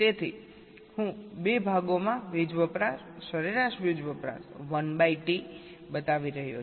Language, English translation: Gujarati, so i am showing the power consumption average power consumption one by two, in two parts